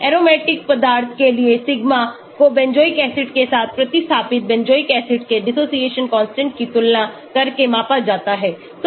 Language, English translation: Hindi, sigma for aromatic substituents is measured by comparing the dissociation constant of substituted benzoic acids with benzoic acid